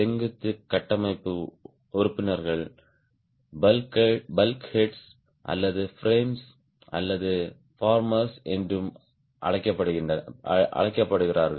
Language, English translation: Tamil, the vertical structural members, also called as bulk heads or frames, or farmers